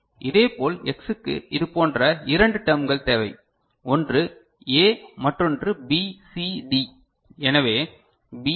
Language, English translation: Tamil, Similarly X requires two such terms one is A another is B, C, D, so B, C, D